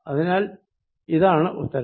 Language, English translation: Malayalam, So, this is the answer